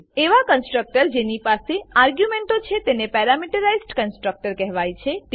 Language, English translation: Gujarati, The constructor that has arguments is called parameterized constructor